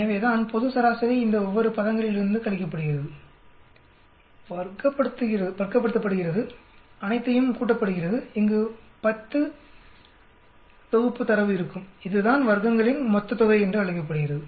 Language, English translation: Tamil, So that global average subtracted from each one of these terms, square it up and add all of them, there will be 10 sets of data here that is called the total sum of squares